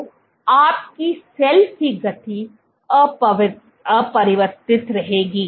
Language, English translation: Hindi, So, your cell speed remained unchanged